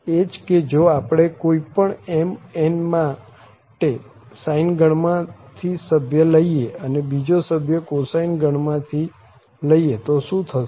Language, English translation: Gujarati, That for any m, n if we take 1 member from sine family other member from the cosine family then what will happen